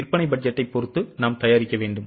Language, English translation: Tamil, Depending on the sale budget, we need to manufacture